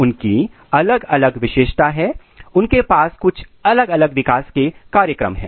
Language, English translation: Hindi, They have a different characteristic feature, they have a total different developmental program